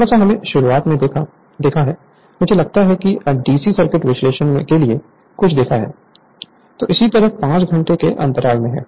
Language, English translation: Hindi, Little bit we have seen at the beginning I think rightfor the DC circuit analysis something you have seen